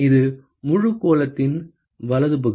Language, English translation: Tamil, It is the area of the whole sphere right